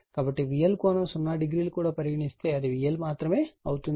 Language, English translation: Telugu, So, if you take V L angle 0 also, it will be V L only right